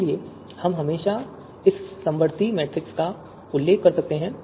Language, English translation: Hindi, So we can always refer to this to this you know concordance matrix